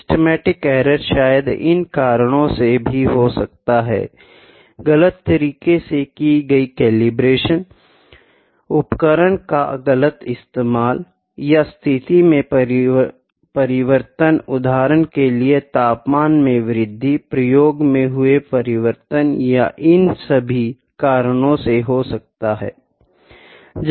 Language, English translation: Hindi, Systematic error might be due to the faulty calibration, the incorrect calibration or incorrect use of instrument change in condition for instance temperature rise may be the change of experiment and all those things